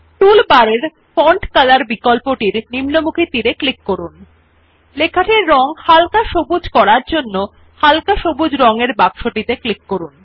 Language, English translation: Bengali, Now click on the down arrow in the Font Color option in the toolbar and then click on the light green box for applying the Light green colour to the the text